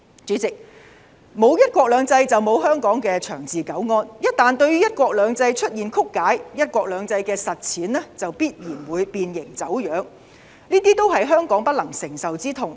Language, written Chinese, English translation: Cantonese, 主席，沒有"一國兩制"就沒有香港的長治久安，一旦對"一國兩制"出現曲解，"一國兩制"的實踐就必然會變形、走樣，這些都是香港不能承受的痛。, President without one country two systems Hong Kong will not have long - term political stability . Once the one country two systems is misinterpreted the implementation of one country two systems is bound to be distorted and deformed . All of these are the insufferable pains of Hong Kong